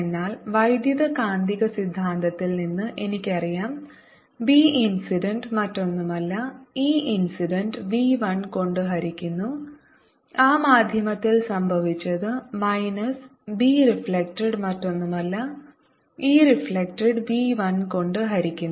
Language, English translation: Malayalam, but now i know from electromagnetic theory that b incident is nothing but e incident divided by v one in that medium minus b reflected is nothing but e reflected over v one in that medium